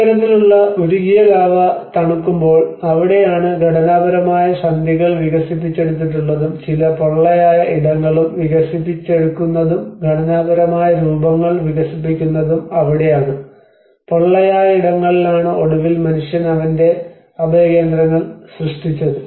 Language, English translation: Malayalam, \ \ \ When these kind of molten lava gets cooled up that is where it develops the structural forms whether structural joints are developed and some hollow spaces are also developed and this is where the hollow spaces becomes eventually man have made his shelters